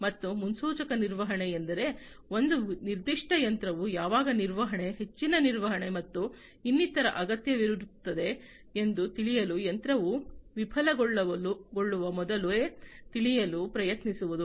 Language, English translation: Kannada, And predictive maintenance means like you know trying to know beforehand even before a machine fails trying to know when a particular machine would need maintenance, further maintenance, and so on